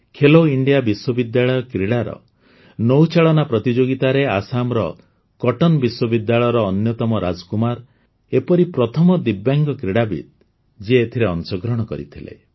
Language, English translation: Odia, In the rowing event at the Khelo India University Games, Assam's Cotton University's Anyatam Rajkumar became the first Divyang athlete to participate in it